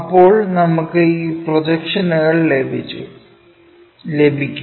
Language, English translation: Malayalam, Then, we will we can have these projections